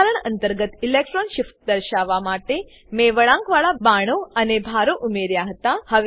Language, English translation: Gujarati, I had added curved arrows and charges to show electron shifts within the structures